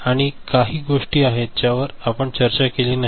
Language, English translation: Marathi, These are certain things, we did not do, did not discuss